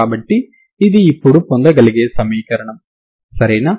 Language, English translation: Telugu, So this is what is the equation now, ok